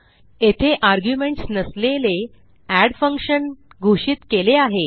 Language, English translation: Marathi, Here we have declared a function add without arguments